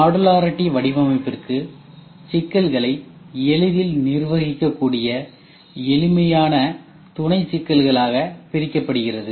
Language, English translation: Tamil, For modularity design problems can be broken into a set of easy to manage simpler sub problems